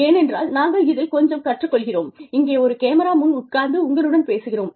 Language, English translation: Tamil, Because, we also learn quite a bit, sitting here, sitting in front of a camera, talking to you